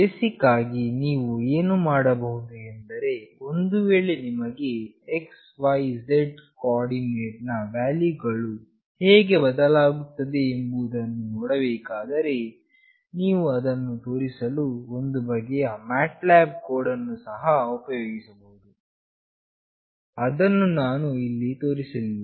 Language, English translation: Kannada, What you can do basically if you wanted to see the how the x, y, z coordinate values change, you can also use some kind of MATLAB code to display it that we are not showing here